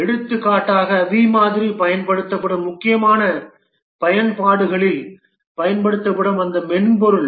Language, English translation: Tamil, For example, those software being used in critical applications, the B model is used